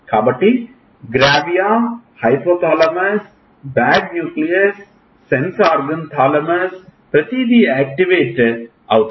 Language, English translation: Telugu, So, gravia, hypo thalamus, bad nucleus, sense organ, thalamus, everything is got activated